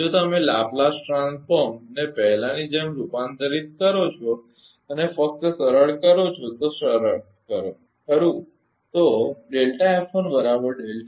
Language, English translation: Gujarati, If you take the Laplace transform same as before and just simplify, just simplify , right